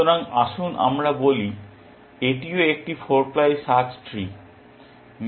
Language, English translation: Bengali, So, let us say, this is also a 4 ply search tree